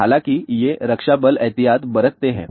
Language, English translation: Hindi, However, these defense forces do take precaution